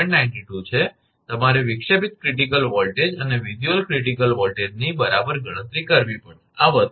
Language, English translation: Gujarati, 92, you have to calculate the disruptive critical voltage and visual critical voltage all right, this is the thing